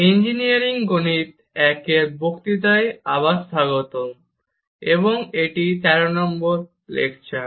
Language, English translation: Bengali, Welcome back to the lectures on Engineering Mathematics I, and this is lecture number 13